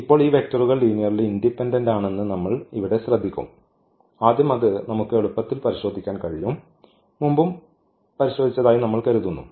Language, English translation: Malayalam, So now, we will notice here that these vectors are linearly independent; first that we can easily check out and we have I think checked before as well